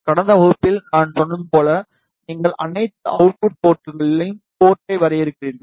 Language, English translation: Tamil, And as I told in the last class in the same way, you define the port at all the output ports